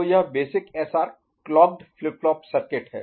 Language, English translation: Hindi, So, this is the basic SR clocked flip flop circuit